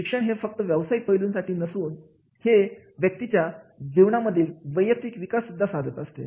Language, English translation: Marathi, Education not only the professionally but also enhances the personal development and life